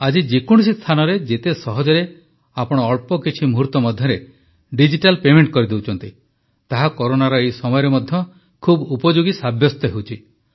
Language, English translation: Odia, Today, you can make digital payments with absolute ease at any place; it is proving very useful even in this time of Corona